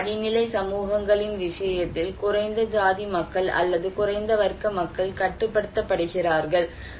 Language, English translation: Tamil, In case of very hierarchical societies, the low caste people or low class people are restricted